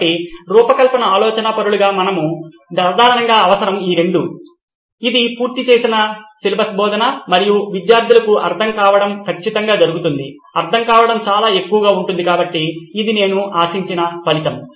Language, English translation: Telugu, So as design thinkers what we generally need are these two which is the covered syllabus and student retention to be very high, so this is my desired result